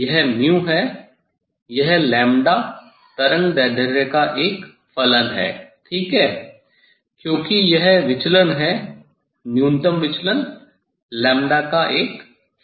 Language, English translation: Hindi, this mu is a function of lambda wavelength ok, because this deviation minimum deviation is a function of lambda